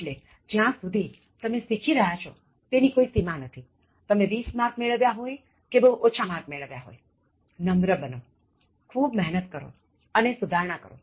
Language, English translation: Gujarati, So, there is no limit as far as you are learning is concerned, even if you have got 20 and even if you have got a low score, just be humble and work hard and keep improving